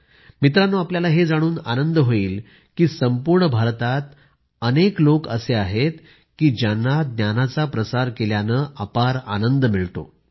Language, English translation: Marathi, But you will be happy to know that all over India there are several people who get immense happiness spreading knowledge